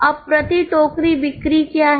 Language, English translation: Hindi, Now what is the sales per basket